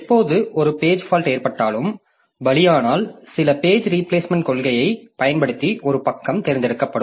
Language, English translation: Tamil, So, whenever a page fault occurred a victim page will be chosen using some page replacement policy